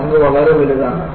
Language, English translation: Malayalam, And, the tank was very huge